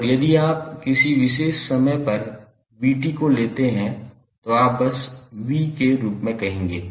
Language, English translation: Hindi, And if you take value minus V t, V at time at particular time t then you will say simply as V